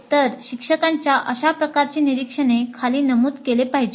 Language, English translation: Marathi, So these kind of observations by the instructor should be noted down